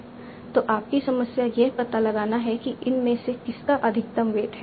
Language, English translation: Hindi, So your problem is to find out which of these has the maximum weight